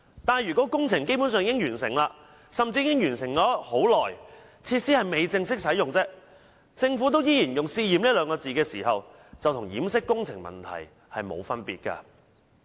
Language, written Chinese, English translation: Cantonese, 但是，如果工程基本上已完成，甚至已完成很久，設施只是未正式使用，而政府依然用"試驗"二字形容該等行為，這便與掩飾工程問題無異。, However if the project is basically complete or was even completed a long time ago and it is just that the facility has yet to be officially commissioned but the Government still describes such actions as testing then I would say this is no different from glossing over a construction problem